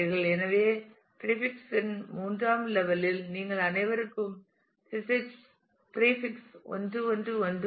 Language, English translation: Tamil, So, at level 3 of prefix you have all of them have prefix 1 1 1